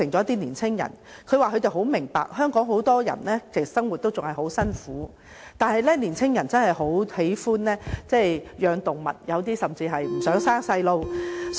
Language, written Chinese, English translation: Cantonese, 他們說十分明白香港很多人的生活仍然相當艱苦，但年輕人真的十分喜歡飼養動物，有些甚至不想生孩子。, They understand that many people are leading a difficult life in Hong Kong but they really like keeping pets and some of them do not want to have children